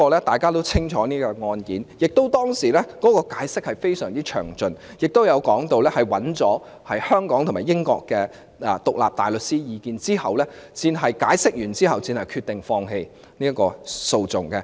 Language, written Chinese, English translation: Cantonese, 大家也清楚這宗案件，當時的解釋亦非常詳盡，並且提到在尋求香港和英國的獨立大律師意見後，律政司才決定放棄起訴。, We all know this case . DoJ made a full and detailed explanation; and before it made the decision of not instituting prosecution DoJ had sought independent advice from private members of the Bar of Hong Kong and England